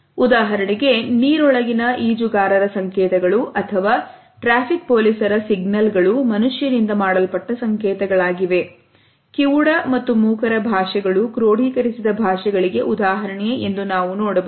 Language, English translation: Kannada, For example, the codes of underwater swimmers or the signals which are made by a traffic signal police man, then, languages of the deaf and the dumb we find that there exist codified languages